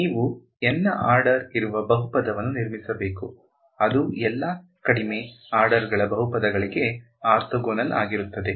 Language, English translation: Kannada, So, what you do is you construct a polynomial of order N such that it is orthogonal to all lower orders of polynomials ok